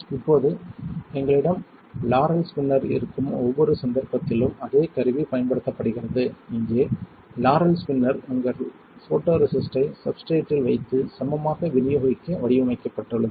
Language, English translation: Tamil, Now, the same tool is used in each case we have a Laurell spinner right here the Laurell spinner is designed to take your photoresist put on a substrate and evenly distribute it